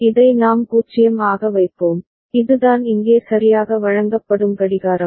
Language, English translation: Tamil, And we will put this to be 0 and this is the clock that will be fed here right